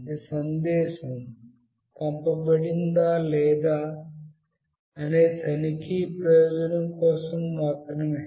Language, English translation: Telugu, This is just for the checking purpose that the message has been sent or not